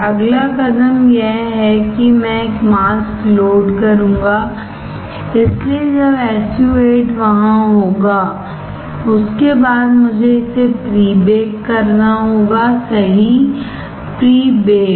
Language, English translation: Hindi, Next step is, that I will load a mask; so after SU 8 is there I have to pre bake it, right; pre baked